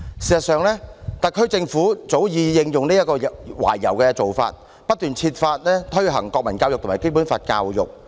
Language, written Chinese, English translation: Cantonese, 事實上，特區政府早已應用這種懷柔的做法，不斷設法推行國民教育和《基本法》教育。, In fact the SAR Government has long since adopted this kind of conciliatory approach and continually tried to find ways to introduce national education and education on the Basic Law